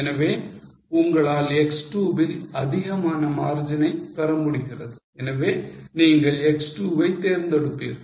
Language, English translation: Tamil, So, you are able to have more margin in x2 so you will prefer x2